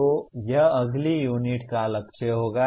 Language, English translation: Hindi, So that will be the goal of next unit